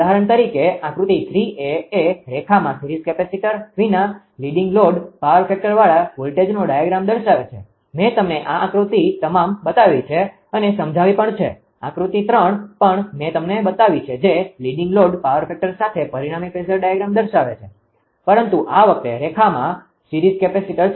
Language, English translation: Gujarati, As an example figure 3a shows a I showed you all this figure and explained also; voltage diagram with a leading load power factor without having series capacitor in the line and figure 3 will also I showed you right; the resultant phasor diagram with the same leading load power factor but this time with series capacitor in the line right